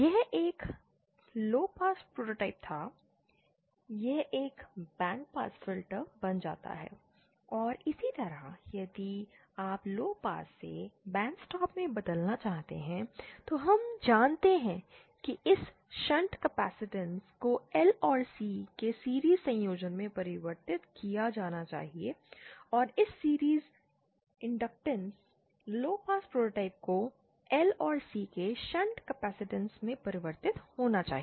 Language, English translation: Hindi, This was a low pass prototype, this becomes a bandpass filter and similarly if you want to convert from lowpass to bandstop, then we know that this shunt capacitance should be converted to series combination of L and C and this series inductance in low pass prototype to be converted to a shunt capacitance of L and C